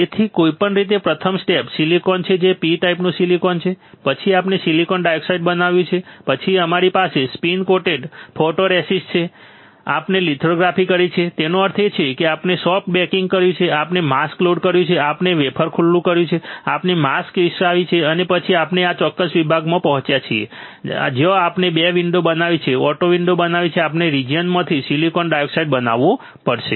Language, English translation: Gujarati, So, anyway, first step is silicon which is P type silicon then we have grown silicon dioxide, then we have spin coated photoresist, we have performed lithography; that means, we have done soft baking, we have load the mask, we have exposed the wafer, we have developed the mask and then we have reached to this particular section where we have created 2 windows auto creating window we have to etch the silicon dioxide from this region